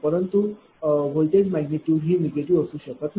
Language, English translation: Marathi, So, voltage magnitude cannot be negative